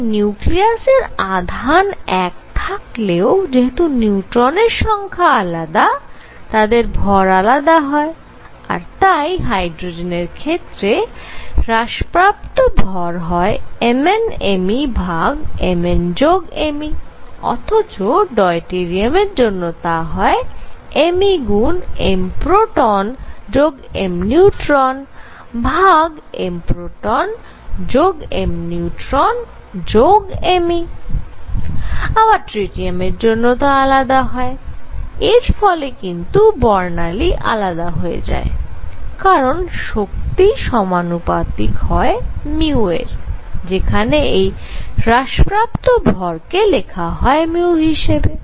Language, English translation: Bengali, So, the nuclear charge is still 1, but they are more neutrons and therefore, mass changes this would have a reduced mass of m e m proton divided by m e plus m proton, this would have a reduced mass of m e times m proton plus m neutron divided by m proton plus m neutron plus m e and this would have some other reduced mass and that would affect the spectrum because energy is proportional to the mu this is by the way denoted mu or the reduced mass